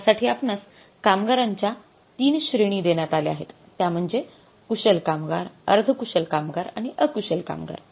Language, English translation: Marathi, So, you are given the three set of the workers skilled, semi skilled and unskilled